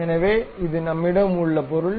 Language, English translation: Tamil, So, this is the object